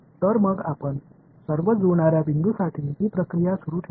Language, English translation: Marathi, So, what we will do is we will continue this process for all the matching points